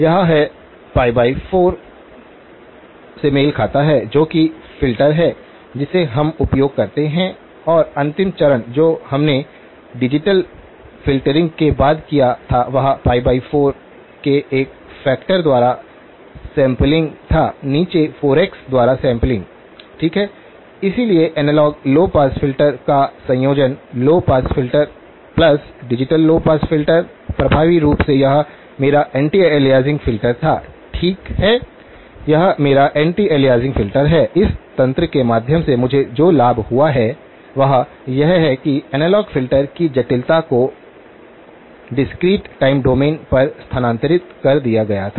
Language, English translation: Hindi, This is; this corresponds to pi by 4 that is the filter that we use and the last step that we did after the digital filtering was down sample by a factor of 4; down sample by 4x, okay, so the combination of the analog low pass filter; low pass filter plus the digital low pass filter effectively this was my anti aliasing filter, okay this is my anti aliasing filter, the advantage that I have gained through this mechanism is that the complexity of the analog filter was shifted over to the discrete time domain